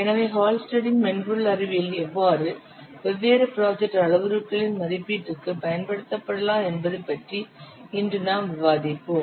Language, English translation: Tamil, So, today we will discuss about the Hullstead software science, how it can be used for different for the estimation of different project parameters